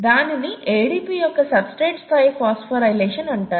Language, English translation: Telugu, And that is called substrate level phosphorylation of ADP